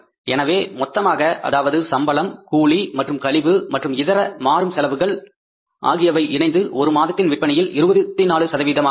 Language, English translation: Tamil, So, in total means you can write here salaries wages and commission and other variable expenses at the rate of 24% of monthly sales